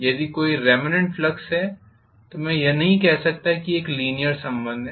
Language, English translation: Hindi, So if there is a remnant flux, the linearity is lost